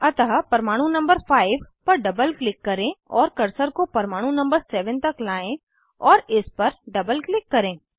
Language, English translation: Hindi, So, double click on atom 5 and bring the cursor to atom number 7 and double click on it